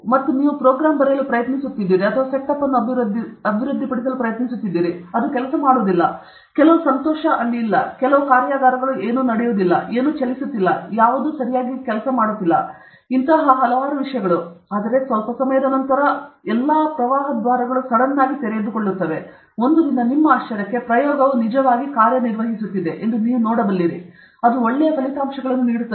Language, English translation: Kannada, And you are trying to write a program or you are trying to develop a setup, it is not working; some joy is not there or some workshops something is not there or something is not moving or somebody is not signing; I mean so, many things are, but after sometime suddenly the flood gates will get open; one day to your surprise, you will see the experiment is actually working, and it is giving good results